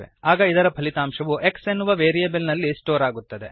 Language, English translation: Kannada, Then the result is stored in variable x